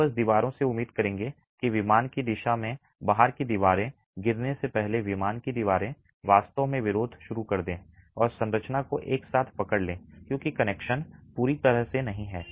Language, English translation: Hindi, You would simply expect walls that are in the out of plane direction to fall way before the in plain walls really start resisting and holding the structure together because the connections are completely not there